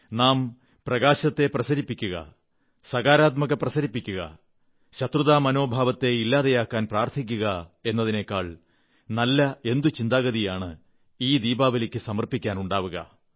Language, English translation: Malayalam, To make this Diwali memorable, what could be a better way than an attempt to let light spread its radiance, encouraging positivity, with a prayer to quell the feeling of animosity